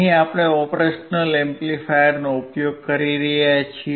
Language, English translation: Gujarati, Here we are using operational amplifier